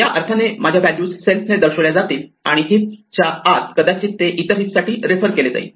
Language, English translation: Marathi, In that sense, my values are denoted by self and inside a heap, it can may be refer to other heaps